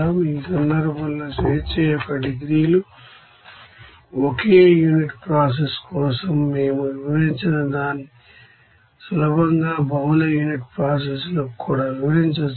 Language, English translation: Telugu, Now in this case the degrees of freedom whatever we have described for a single unit process can be easily extended it to multi unit process also